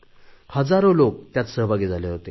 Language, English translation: Marathi, Thousands participated in this campaign